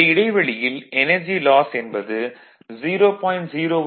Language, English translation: Tamil, So, this similarly that that will energy loss will be 0